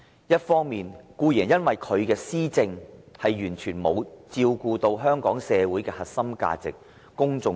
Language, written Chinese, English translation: Cantonese, 一方面，固然是因為他的施政完全沒有照顧香港社會的核心價值，公眾利益。, On the one hand it is definitely because his policies have given no regard to the core values of society of Hong Kong and public interest